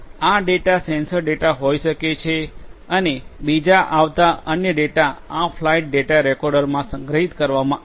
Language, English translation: Gujarati, These data could be sensor data and different other data that are coming would be all stored in these flight data recorders